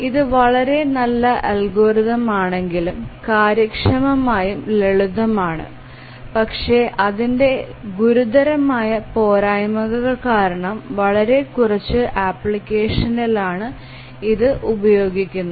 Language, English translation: Malayalam, If it is such a good algorithm, it is efficient, simple, why is it that none of the applications, I mean very few applications use it